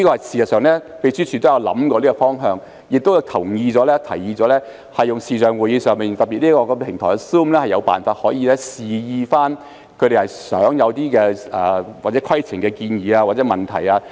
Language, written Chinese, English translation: Cantonese, 事實上，秘書處也有考慮這個方向，也同意和提議在視像會議上，特別是在 Zoom 這個平台上，可以有辦法示意他們擬提出有關規程的建議或問題。, In fact the Secretariat has considered this aspect and has agreed and suggested that at video conferences especially on the Zoom platform there are ways for Members to indicate their intention to raise proposals or questions on a point of order